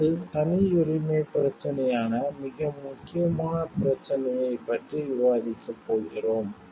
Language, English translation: Tamil, Next, we are going to discuss about a very sensitive issue, which is the issue of privacy